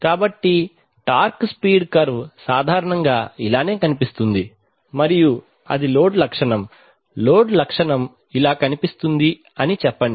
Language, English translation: Telugu, So the torque speed curve typically looks like this right, and let us say that a load characteristic, a load characteristic looks like this